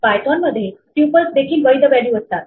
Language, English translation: Marathi, On python, tuples are also valid values